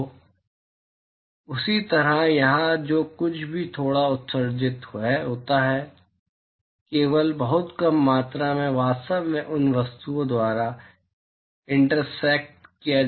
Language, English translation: Hindi, So, in the same way here whatever little is emitted only very small quantity is actually intersected by these objects